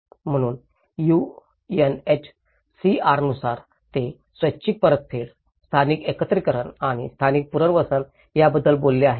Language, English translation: Marathi, So, as per the UNHCR, it talks about the voluntary repatriation, the local integration and the local resettlement